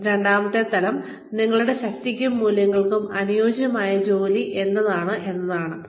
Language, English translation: Malayalam, The second level of this is, what kind of work fits your strengths and values